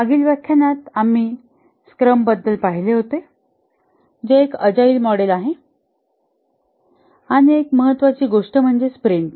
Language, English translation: Marathi, In the last lecture we looked at scrum which is one of the agile models and one important thing here is the sprint